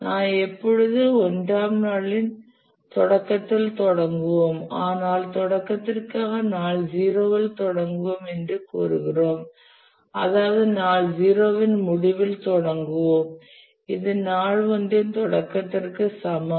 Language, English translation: Tamil, But for that purpose, we will say that we will start in day zero, which means that we will start at the end of day zero which is also equal to the start of day one